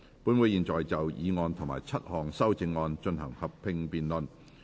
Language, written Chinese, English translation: Cantonese, 本會現在就議案及7項修正案進行合併辯論。, This Council will now proceed to a joint debate on the motion and the seven amendments